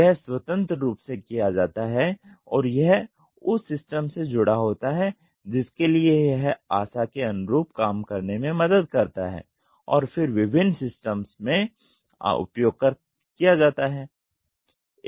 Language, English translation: Hindi, This is independently done and this is attached to the system for which helps in working to the expectation and then used in different systems